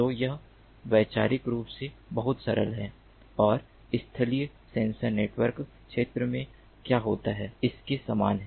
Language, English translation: Hindi, so this, conceptually, is very simple and is similar to what happens in the terrestrial sensor network domain